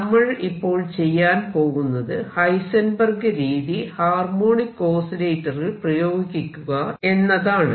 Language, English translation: Malayalam, What we are going to do now is apply Heisenberg’s method to a harmonic oscillator which also heated in his paper